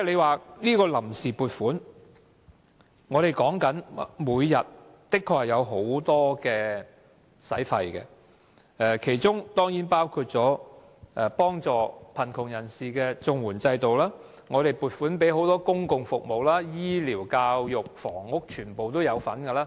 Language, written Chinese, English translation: Cantonese, 關於臨時撥款，政府每天的確有很多開支，其中當然包括幫助貧窮人士的綜合社會保障援助，公共服務，醫療、教育、房屋等。, As regards the funds on account the Government does have a lot of expenditures every day including Comprehensive Social Security Assistance to help the poor public services health care education and housing